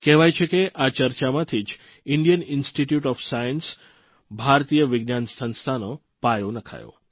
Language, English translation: Gujarati, It is said… this very discussion led to the founding of the Indian Institute of Science